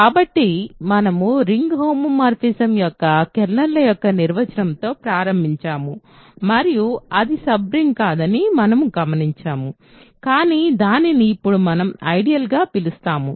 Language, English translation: Telugu, So, we started with the definition of a kernel of a ring homomorphism and we noticed that it is not a sub ring, but it is what we now call an ideal ok